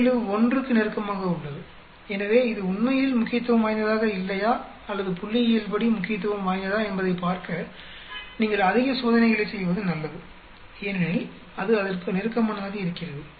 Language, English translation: Tamil, 71 so you better do more experiments to see whether it is really not significant or is it statistically significant so because it is sort of closer to that